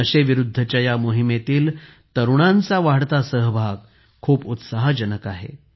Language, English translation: Marathi, The increasing participation of youth in the campaign against drug abuse is very encouraging